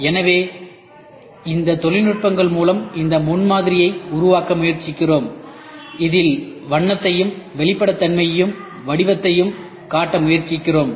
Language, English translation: Tamil, So, we try to use we make this prototyping through this techniques, where in which we try to show the colour and the transparency as well as the form